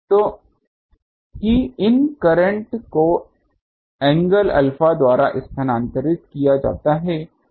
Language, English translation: Hindi, So, that these current is shifted by angle alpha that is the only trick